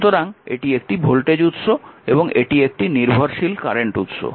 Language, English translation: Bengali, Now this is a dependent voltage source, now you see that this is 0